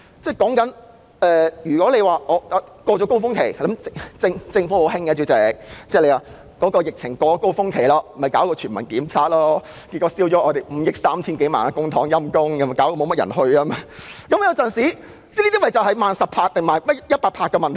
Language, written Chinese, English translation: Cantonese, 政府老是在高峰期過後才採取行動，例如在疫情高峰期過後推出全民檢測，結果花費了5億 3,000 多萬元公帑，卻又沒有太多市民支持，這便是"慢十拍"或"慢一百拍"的問題。, The Government always takes actions to address the problems after they have passed their peak such as launching the Universal Community Testing Programme after the peak of the epidemic which cost the Government more than 530 million but did not receive too much public support . This is a typical example of reacting ten beats or even a hundred beats too slowly